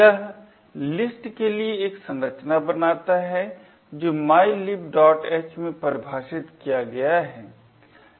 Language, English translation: Hindi, It defines a structure for the list which is defined in mylib